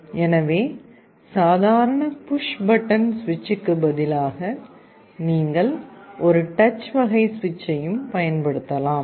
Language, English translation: Tamil, So, instead of a normal push button switch, you can also use a touch kind of a switch